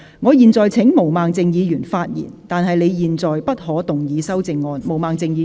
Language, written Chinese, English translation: Cantonese, 我現在請毛孟靜議員發言，但她在現階段不可動議修正案。, I now call upon Ms Claudia MO to speak but she may not move the amendment at this stage